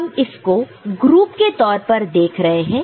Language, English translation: Hindi, So, now, we are looking at this as a group